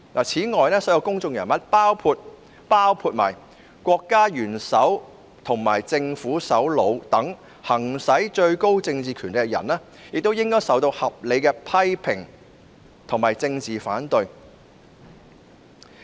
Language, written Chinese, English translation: Cantonese, 此外，所有公眾人物，包括國家元首及政府首長等行使最高政治權力的人也應受到合理的批評及政治反對。, Moreover all public figures including those exercising the highest political authority such as heads of state and government are legitimately subject to criticism and political opposition